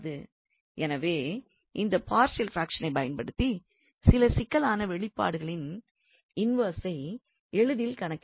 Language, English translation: Tamil, So, using the idea of this partial fractions, we can easily compute the inverse of some complicated expressions by this partial fractions